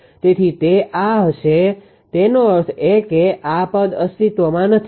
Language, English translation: Gujarati, So, it will be it this; that means, this term will not exist